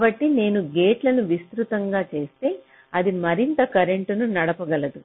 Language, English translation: Telugu, so if i make it wider, it can drive more current